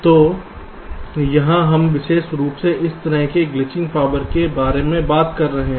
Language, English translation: Hindi, ok, so here we are specifically talking about this kind of glitching power